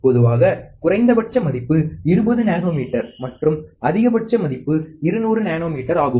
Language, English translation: Tamil, Typically, the minimum value is 20 nanometer and the maximum value is 200 nanometer